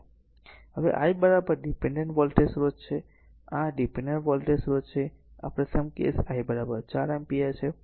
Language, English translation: Gujarati, So, when I is equal to this is a your dependent voltage source, this is a dependent voltage source and first case is I is equal to 4 ampere